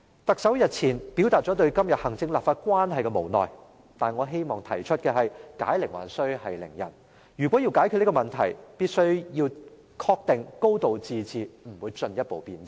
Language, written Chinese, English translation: Cantonese, 特首日前表達了對今天行政立法關係的無奈，但我希望提出解鈴還須繫鈴人，如果要解決這問題，必須要確定"高度自治"不會進一步變質。, The Chief Executive has expressed a sense of helplessness over the present relations between the executive authorities and the legislature . But let he untie the knot that he himself tied up so to speak . In order to resolve this problem we must make sure that the principle of a high degree of autonomy will not further degenerate